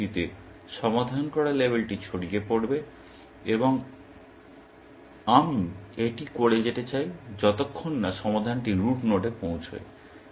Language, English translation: Bengali, In this fashion, the solved label will percolate up, and I want to keep doing this, till solved does not reach the root node, essentially